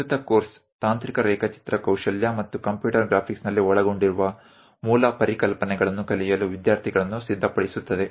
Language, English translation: Kannada, The present course prepares the students to learn the basic concepts involved in technical drawing skills and computer graphics